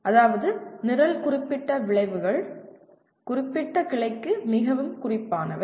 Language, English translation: Tamil, That means the Program Specific Outcomes are very specific to particular branch